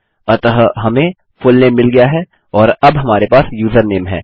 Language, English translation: Hindi, So, we have got fullname and now we have username